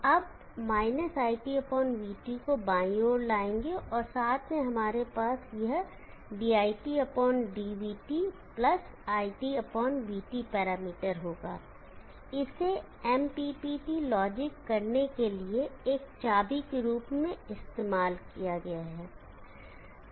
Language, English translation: Hindi, We shall bring – IT/VT to the left side and together we will have this parameter, dit/dvt + IT/VT, this can be used as the key for doing the MPPT logic